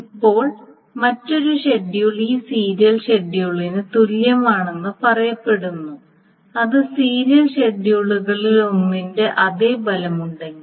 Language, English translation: Malayalam, Now, and another schedule is said to be equivalent to this serial schedule, if the effect of that schedule is the same as the serial schedule as one of the serial schedules